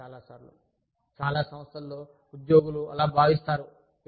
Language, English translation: Telugu, Many times, in many organizations, employees feel that